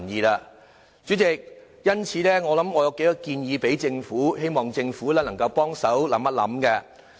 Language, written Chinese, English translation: Cantonese, 代理主席，我有數個建議，希望政府能夠多作考慮。, Deputy President I would like to put forward some proposals for the Governments consideration